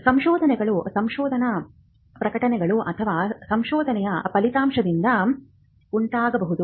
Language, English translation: Kannada, Inventions may result out of research publications, or outcome of research